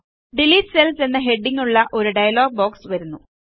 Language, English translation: Malayalam, A dialog box appears with the heading Delete Cells